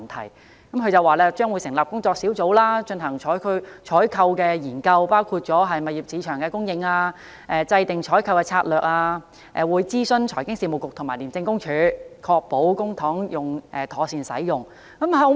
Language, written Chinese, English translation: Cantonese, 她表示，政府將會成立工作小組進行採購研究，包括探討物業市場的供應、制訂採購的策略，並會諮詢財經事務及庫務局和廉政公署，確保公帑妥善使用。, She said that the Government would set up a task force to study the issues relating to the purchases . For example it would explore the supply of properties in the market formulate a purchase strategy and consult the Financial Services and the Treasury Bureau and the Independent Commission Against Corruption to ensure that public money would be used properly